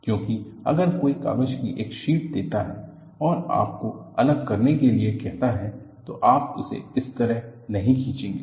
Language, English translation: Hindi, Because if somebody gives a sheet of paper and ask you to separate, you will not pull it like this